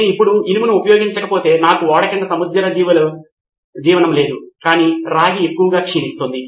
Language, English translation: Telugu, If I don’t use it now I don’t have marine life under the ship but copper is corroding like crazy